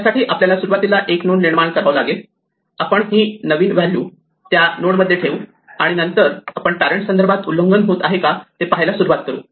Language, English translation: Marathi, This is what we do we first create the node, we put the new value into that node and then we start looking at violations with respect to it is parent